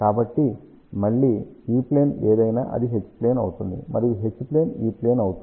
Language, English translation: Telugu, So, again whatever is E plane, it will become H plane; and H plane will become E plane